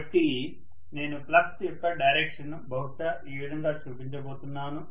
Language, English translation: Telugu, So I am going to show the direction of the flux probably somewhat like this, okay